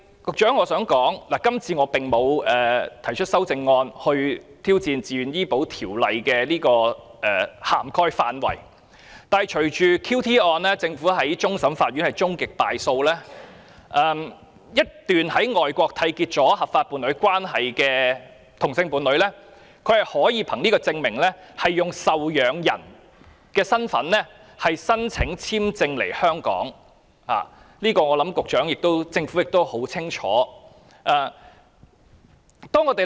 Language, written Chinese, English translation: Cantonese, 我想告訴局長，今次我沒有提出修正案以挑戰自願醫保的涵蓋範圍，但在 "QT" 一案中，終審法院判政府敗訴，在外國締結合法伴侶關係的同性伴侶便可以受養人身份申請簽證來港，我相信局長和政府都清楚了解這點。, Although I have not proposed any amendment to challenge the scope of VHIS I would like to remind the Secretary that the Court of Final Appeal ruled against the Government in the QT case . Same - sex couples who have entered into legal partnership overseas may now apply for dependant visas to visit Hong Kong . The Secretary and the Government should be clear about this